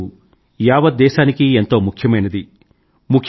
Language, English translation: Telugu, This day is special for the whole country